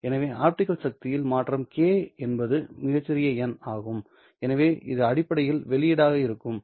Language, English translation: Tamil, So this change in the optical power is this fellow where k prime is a very small number, so this would essentially be the output